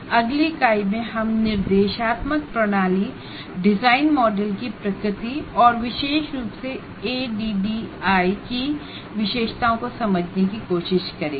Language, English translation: Hindi, And in the next module, the next unit, we will try to understand the nature of instructional system design models and particularly features of adding